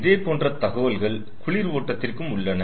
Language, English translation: Tamil, similarly, the informations are available for the cold stream